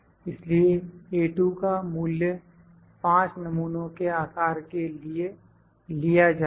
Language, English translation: Hindi, So, the value of A2 would be taken for 5 sample size